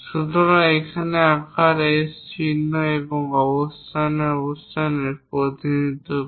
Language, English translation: Bengali, So, here size represents S symbol and positions location